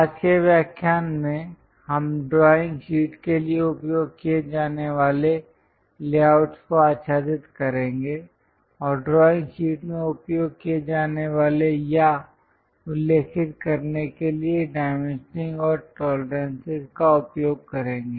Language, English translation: Hindi, In today's lecture we will cover what are the layouts to be used for a drawing sheet and dimensioning and tolerances to be used or mentioned in a drawing sheet